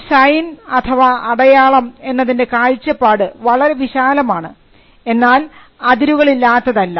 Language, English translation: Malayalam, The concept of a sign is too broad, but it is not without limits